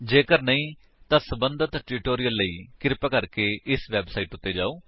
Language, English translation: Punjabi, If not, for relevant tutorials, please visit our website which is as shown